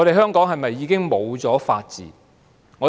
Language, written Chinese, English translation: Cantonese, 香港是否已經失去了法治？, Has Hong Kong already lost its rule of law?